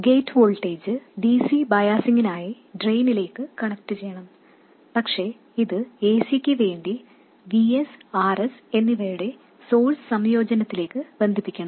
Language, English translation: Malayalam, The gate voltage must get connected to the drain for DC biasing, but it should get connected to this source combination of Vs and RS for signal, for AC